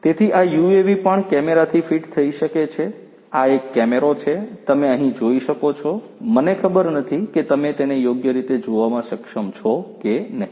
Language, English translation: Gujarati, So, these this UAV could also be fitted with cameras, this is one camera as you can see over here I do not know whether you are able to see it properly